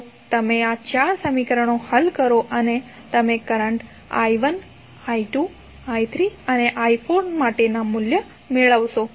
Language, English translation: Gujarati, So, you solve these four equations you will get the values for current i 1, i 2, i 3 and i 4